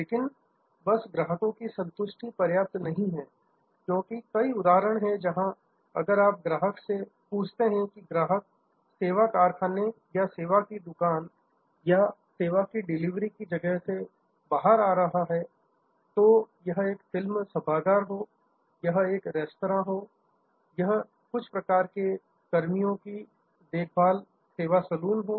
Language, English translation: Hindi, But, just customer satisfaction enough is not enough, because there are many instances, where if you ask the customer as the customer is coming out of the service factory or the service shop or the place of delivery of service, be it a movie auditorium, be it a restaurant, be it a some kind of personnel care service saloon